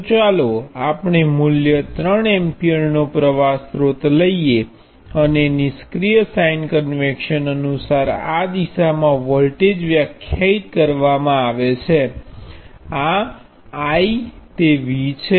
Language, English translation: Gujarati, So let us take a current source of value 3 amperes and the voltage is defined in this direction according to passive sign convection this is I that is V